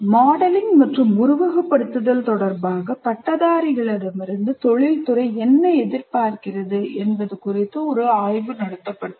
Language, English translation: Tamil, Now, a study was conducted and where the industry, what is the industry expecting from graduates with regard to modeling and simulation